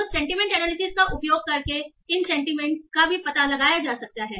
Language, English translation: Hindi, So these sentiments can also be explored by using sentiment analysis